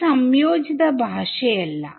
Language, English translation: Malayalam, It is not a compiled language